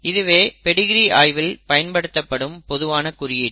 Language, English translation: Tamil, These are standard terminologies for Pedigree analysis